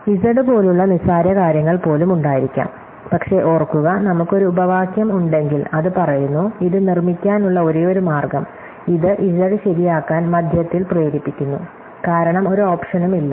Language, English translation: Malayalam, So, we could have even trivial things like z, but remember, if we have a clause it says that, the only way to make it, this forces mid to make z true, because there is no option